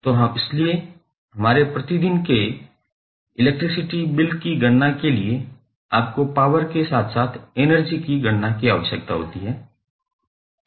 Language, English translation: Hindi, So, that is why for our day to day electricity bill calculation you need calculation of power as well as energy